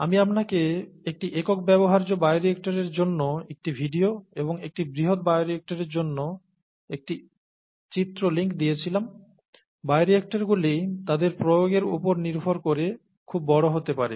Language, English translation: Bengali, I had given you a video for a single use bioreactor and an image link for a large bioreactor, bioreactors can be very large depending on their application